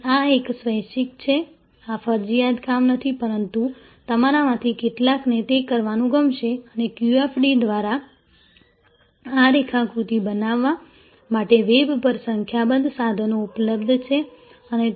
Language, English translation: Gujarati, And this is a voluntary, this is not a compulsory assignment, but some of you will like to do and by the way QFD, there are number tools available on the web to create this diagram and